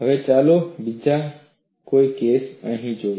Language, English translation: Gujarati, Now, let us look at another case